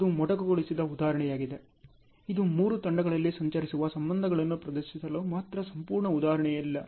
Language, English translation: Kannada, This is a truncated example it is not a complete example only to showcase the relationships that travels across the three teams